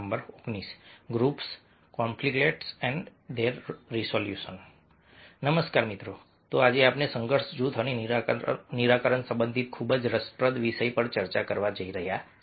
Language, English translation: Gujarati, so today we are going to discuss very interesting topic related to conflicts, group and resolution